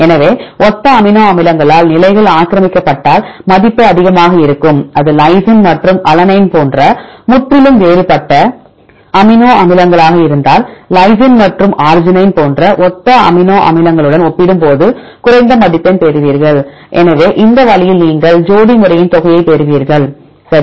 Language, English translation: Tamil, So, the value will be high if the positions are occupied by similar amino acids if it is completely different amino acids like lysine and alanine then you get less score compared with the similar amino acids like lysine and arginine; so this way you get the sum of pairs method, ok